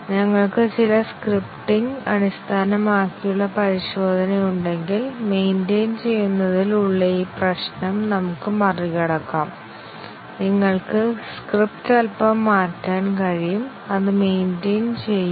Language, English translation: Malayalam, If we have some scripting based testing, we might overcome this problem of maintaining; you can change the script little bit and that will maintain it